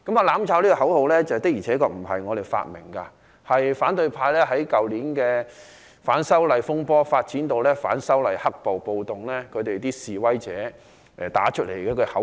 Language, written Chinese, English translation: Cantonese, "攬炒"這個口號的確不是由我們發明，是反對派在去年反修例風波發展至反修例黑暴、暴動期間，示威者打出來的口號。, As a matter of fact the slogan If we burn you burn with us was not invented by us . This slogan was chanted by the protesters from the opposition camp during the disturbances arising from the opposition to the proposed legislative amendments last year which have developed into black violence and riots